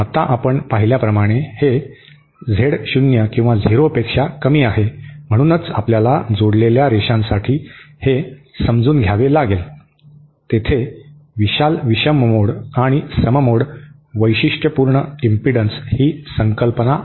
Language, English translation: Marathi, Now this is lesser than Z0 even as we had seen, so this is something we have to understand for the coupled lines, there is the concept of odd mode and even mode impedances, characteristic impedances